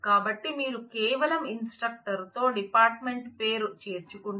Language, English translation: Telugu, So, if you just include the department name with the instructor